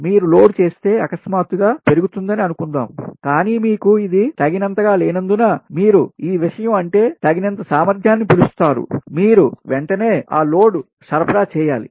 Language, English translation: Telugu, suppose you load has suddenly increase, suddenly increase, but as you dont have sufficient this thing ah, your what you call ah, sufficient ah capacity to this thing ah, that you have to immediately supply that load